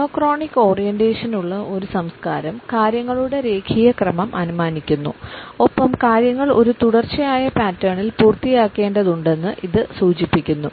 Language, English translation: Malayalam, A culture which has a monochronic orientation assumes our linear order of things and it suggests that things have to be completed in a sequential pattern